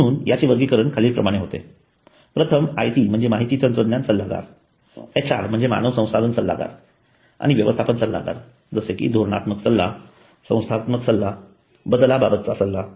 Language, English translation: Marathi, So classification there are IT consultants HR consultants and management consultants like strategy consulting, organization consulting and change consulting